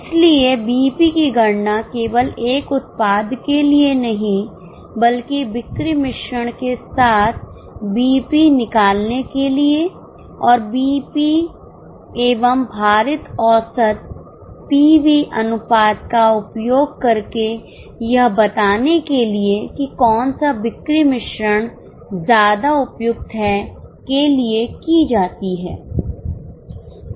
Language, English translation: Hindi, So, computing BEP not just for one product but for a BEP for a sales mix and using BEP and weighted average PV ratio commenting on which sales mix is more suitable